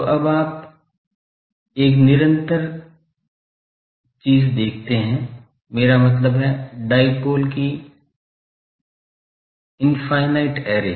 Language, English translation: Hindi, Now, so, you see a continuous, I mean infinite array of dipoles